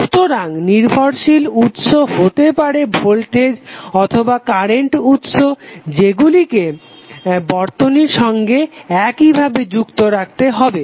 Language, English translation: Bengali, So dependent source may be voltage or current source should be left intact in the circuit